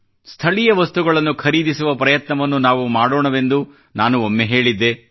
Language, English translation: Kannada, I had once said that we should try to buy local products